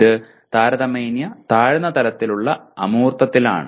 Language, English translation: Malayalam, It exists at relatively low level of abstraction